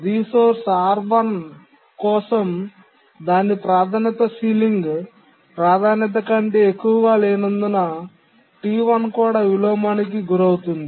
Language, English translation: Telugu, And even T1 can suffer inversion when it requests resource R1 because its priority is not greater than the ceiling priority